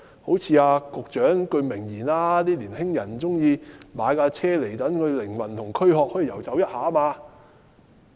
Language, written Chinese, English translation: Cantonese, 好像陳帆局長的一句名言，"年青人喜歡買車，讓軀殼及靈魂可以遊走一下"。, Just as the famous remark by Secretary Frank CHAN Young people like to buy cars so that they can let their bodies and souls wander around